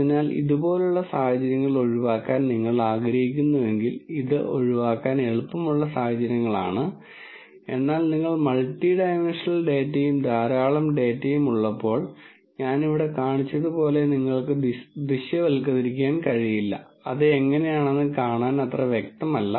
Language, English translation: Malayalam, So, you would like to avoid situations like this and these are actually easy situations to avoid, but when you have multi dimensional data and lots of data and which you cannot visualize like I showed you here it turns out it is not really that obvious to see how you should initially